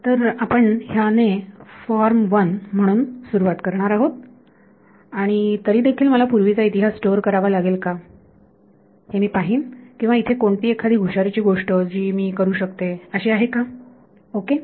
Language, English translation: Marathi, So, we are going to start with this as one form and see do I still have to store all the past history or is there some clever thing I can do ok